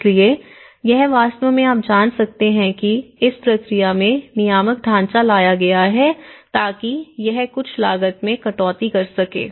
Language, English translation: Hindi, So, it can actually have you know, brought the regulatory framework into the process so that it can cut down some cost